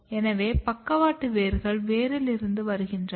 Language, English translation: Tamil, So, lateral roots are coming from the root